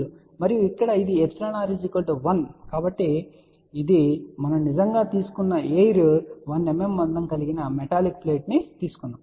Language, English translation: Telugu, And here since it is epsilon r equal to 1, which is air what we have actually taken we have actually taken a metallic plate of thickness 1 mm